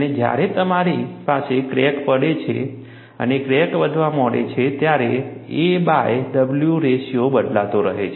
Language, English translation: Gujarati, And, when you have a crack and the crack starts growing, a by w ratio keeps changing